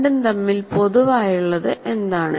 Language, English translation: Malayalam, What is it that is common between the two